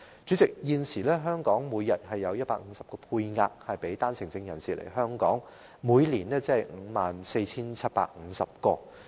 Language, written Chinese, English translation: Cantonese, 主席，現時香港每天有個配額給予單程證人士來港，每年合共便有 54,750 名。, President at present the daily quota for OWPs is 150 which means 54 750 persons in total will enter Hong Kong per annum on the strength of OWPs